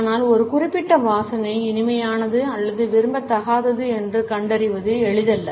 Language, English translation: Tamil, But it is not easy to diagnose a particular scent as being pleasant or unpleasant one